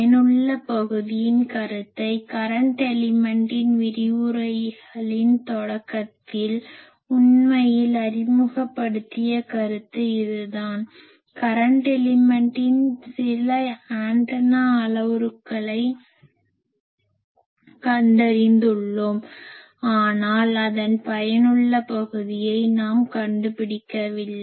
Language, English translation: Tamil, This effective are concept we have introduced actually when we have introduced in the start of the lectures the current element, we have found some of the parameters antenna parameters of current element, but we have not found its effective area